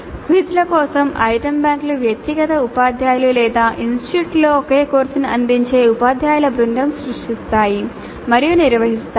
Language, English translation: Telugu, The item banks for quizzes are created and managed by the individual teachers or the group of teachers offering a same course across the institute